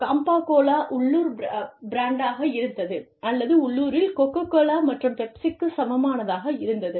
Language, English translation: Tamil, And, Campa Cola was the local brand, or, sorry, the local equivalent, of Coca Cola and Pepsi